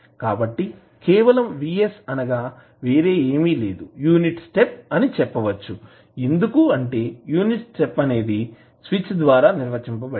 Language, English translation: Telugu, So, you can simply say that vs is nothing but the unit step because this unit step is being defined by the switch